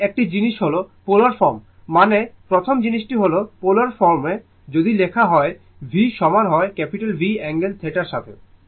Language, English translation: Bengali, So, one way one one thing is that polar form, I mean first thing is the polar form if you write v is equal to V angle theta